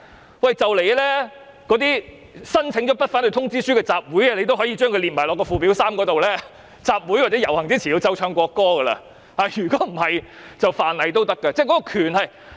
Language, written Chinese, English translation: Cantonese, 說不定日後連已申請不反對通知書的集會也被列入附表3的場合，規定在集會或遊行前必須奏唱國歌，否則即屬犯例。, It is possible that in future even a meeting which has obtained a notice of no objection will be included in the list of occasions set out in Schedule 3 thereby making it a contravention of the law if the national anthem is not played and sung before a meeting or procession